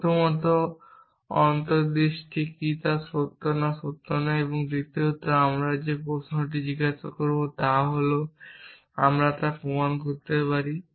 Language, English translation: Bengali, First of all what is the intuition whether it is true or not true and secondly, off course the question that we will ask is can we prove it